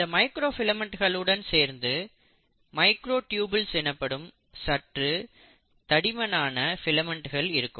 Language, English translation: Tamil, In addition to microfilaments, there are slightly more thicker filaments which are called as microtubules